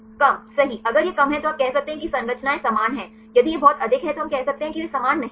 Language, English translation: Hindi, Low right if it is less you can say the structures are similar, if it is very high then we say that they are not similar fine